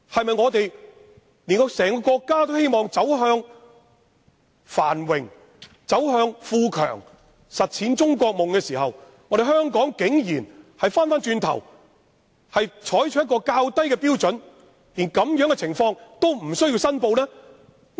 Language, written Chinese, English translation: Cantonese, 在整個國家都希望走向繁榮、富強、實踐"中國夢"的時候，香港竟然走回頭路，採取較低標準，連這樣的情況都不用申報。, The whole country is aspiring to prosperity strength and the manifestation of the Chinese Dream yet Hong Kong chooses to go backward and adopt a lower standard in which no declaration is required even under such circumstances